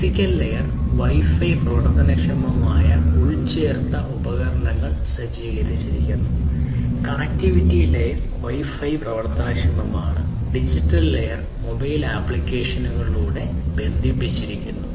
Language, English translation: Malayalam, Physical layer is equipped with Wi Fi enabled embedded devices, connectivity layer is Wi Fi enabled and the digital layer is connected through mobile applications